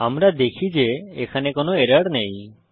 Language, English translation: Bengali, We see that, there is no error